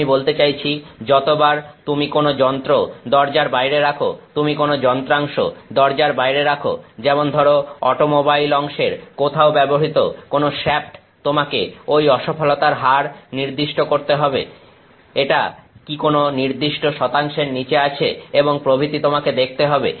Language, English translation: Bengali, Every time you put, I mean some instrument out the door, you put some component out the door some shaft which is used somewhere in an automobile part; you have to specify that failure rate is this is below a certain percentage and so on